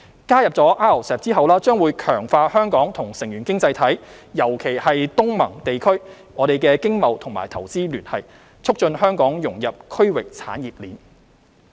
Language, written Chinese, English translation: Cantonese, 加入 RCEP 將會強化香港與成員經濟體——尤其是東盟地區——的經貿與投資聯繫，促進香港融入區域產業鏈。, Joining RCEP will strengthen the economic trade and investment ties between Hong Kong and member economies especially with the ASEAN region and facilitate Hong Kongs integration into the regional value chain